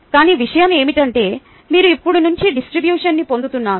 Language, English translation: Telugu, but the point is that you are now going to get a nice distribution